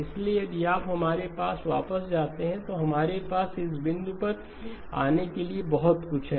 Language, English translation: Hindi, So if you go back to our, so we have pretty much come up to this point okay